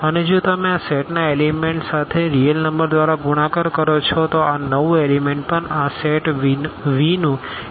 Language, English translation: Gujarati, And if you multiply by a real number to this element of this set this new element is also an element of this set V